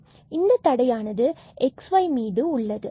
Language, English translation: Tamil, So, there is a restriction on x y